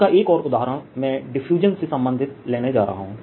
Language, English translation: Hindi, another example of this i am going to take relates to diffusion